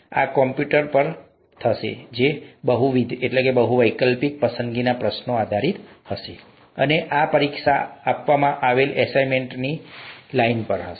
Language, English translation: Gujarati, This will be on the computer, again multiple choice questions based, and these, this exam would be on the lines of the assignments that are given